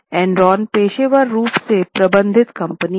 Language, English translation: Hindi, In Inron there is a professionally managed company